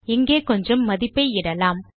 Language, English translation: Tamil, Let me add some value here